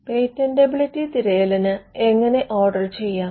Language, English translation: Malayalam, How to order a patentability search